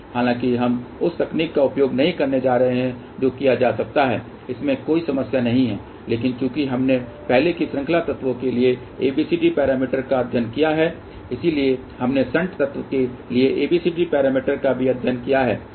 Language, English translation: Hindi, However, we are not going to use that technique that can be done there is no problem at all, but since we have already studied ABCD parameters for series elements we have also studied ABCD parameters for shunt element